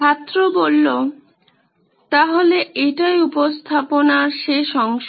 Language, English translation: Bengali, So this is the end of the presentation